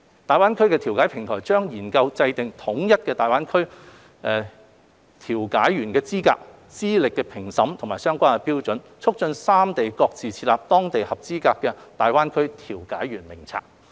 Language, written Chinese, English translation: Cantonese, 大灣區調解平台將研究制訂統一的大灣區調解員資格、資歷評審及相關標準，促進三地各自設立當地的合資格大灣區調解員名冊。, The GBA Mediation Platform will explore the promulgation of a set of unified qualification accreditation and other relevant standards for mediators in GBA and facilitate the establishment of a local panel of qualified GBA mediators in each of the three places